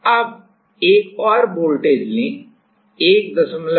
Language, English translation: Hindi, Now, take another voltage